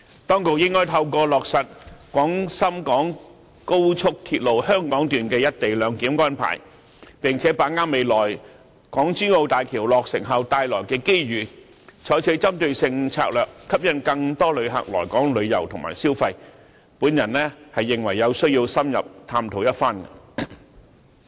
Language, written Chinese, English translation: Cantonese, 當局應該透過落實廣深港高速鐵路香港段的"一地兩檢"安排，並且把握未來港珠澳大橋落成後帶來的機遇，採取針對性策略吸引更多旅客來港旅遊和消費，我認為有需要深入探討一番。, Through implementing the co - location arrangement at the Hong Kong section of the Guangzhou - Shenzhen - Hong Kong Express Rail Link XRL and seizing the opportunities brought forth by the completion of the Hong Kong - Zhuhai - Macao Bridge HZMB in the future the Government should adopt focused strategies to attract more visitors to Hong Kong for tours and consumption . I think there is a need to explore all of these in depth